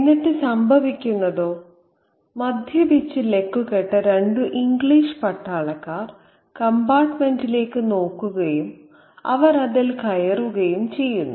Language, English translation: Malayalam, And then what happens is that a couple of drunk English soldiers look at the compartment and they get in